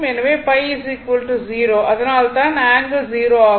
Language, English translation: Tamil, So, both angle 0